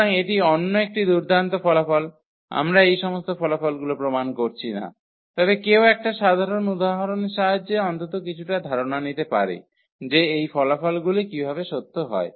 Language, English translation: Bengali, So, that is a another nice results we are not going to prove all these results, but one can with the help of some simple examples one can at least get some idea that how these results are true